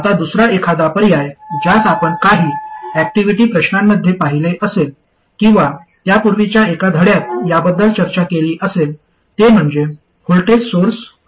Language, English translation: Marathi, Now another alternative which you would have seen in some activity questions or I even discussed it in one of the earlier lessons, is to have a voltage source